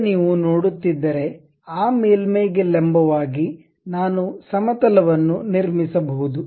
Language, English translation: Kannada, Now, if you are seeing, normal to that surface I can construct a plane